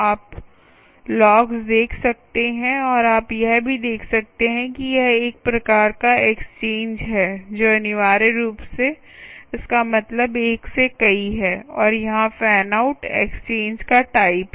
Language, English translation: Hindi, and you can also see that this is a fan out type of exchange, which essentially means one to many, and the type is mentioned here as fan out